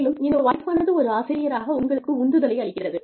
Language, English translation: Tamil, And, that enhances your motivation, as a teacher